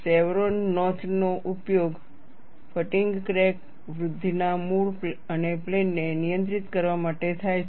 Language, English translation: Gujarati, The chevron notch is used to control the origin and plane of fatigue crack growth